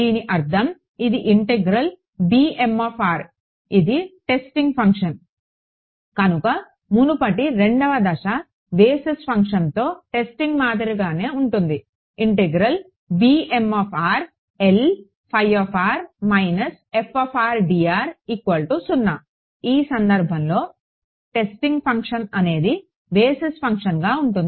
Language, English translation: Telugu, It means that an integral over so, b m r this is testing right, this is same as step 2 earlier testing with a basis with the testing function, in this case the testing function is the same as a basis function right